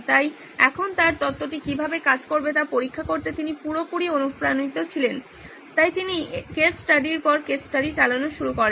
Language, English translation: Bengali, So now he was totally motivated to go and check out how his theory will stand, so he started running case study after case study